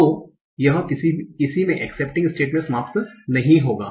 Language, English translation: Hindi, So this will not end up in any of the accepting states